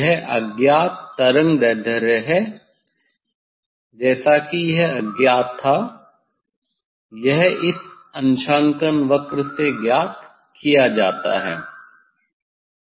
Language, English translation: Hindi, this is the wavelength unknown wavelength as I it was unknown now; it is known from this calibration curve